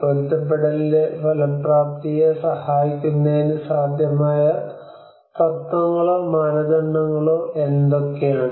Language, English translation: Malayalam, What are the possible principles or criteria to assist effectiveness of adaptation